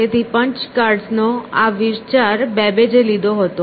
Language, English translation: Gujarati, So, this idea of punched cards is what Babbage took from there